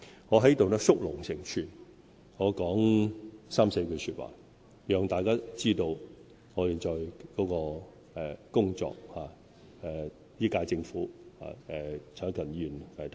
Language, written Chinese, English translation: Cantonese, 我在此縮龍成寸，說三四句話，讓大家知道本屆政府現在的工作。, Here I would give in a few sentences a concise account of the work accomplished by the current - term Government